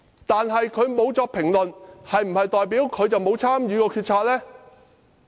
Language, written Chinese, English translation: Cantonese, 梁振英沒有評論，是否代表他沒有參與決策？, Though LEUNG Chun - ying made no comment does that mean that he had not been involved in making the decision?